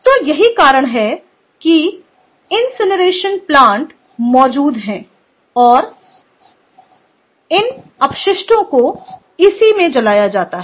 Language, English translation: Hindi, ok, so that is why incineration plants are exist and where this waste is burnt, ah, in these incinerators